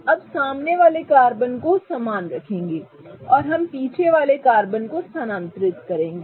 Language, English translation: Hindi, So, we'll keep the front carbon the same and we'll move the back carbon